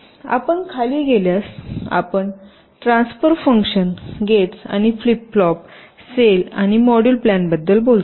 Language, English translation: Marathi, if you go down, you talk about transfer functions, gates and flip flops, cells and module plans